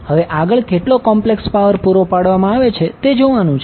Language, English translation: Gujarati, Now, next is how much complex power is being supplied